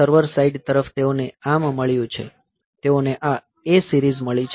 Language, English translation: Gujarati, So, for the server side, they have got ARM, they have got these A series